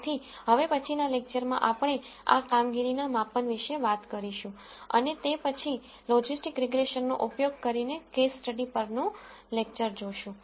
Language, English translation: Gujarati, So, in the next lecture we will talk about these performance measures and then following that will be the lecture on a case study using logistic regression